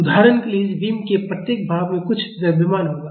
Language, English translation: Hindi, Each part of this beam for example, will have some mass